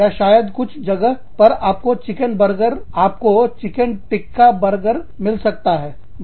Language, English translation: Hindi, Or, maybe, you could have, the chicken tikka burger, in some places